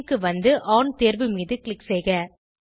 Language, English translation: Tamil, Scroll down to Spin and then click on option On